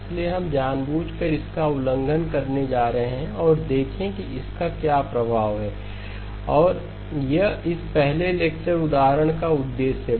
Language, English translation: Hindi, So we are deliberately going to violate that and see what is the impact and that is the purpose of this first lecture example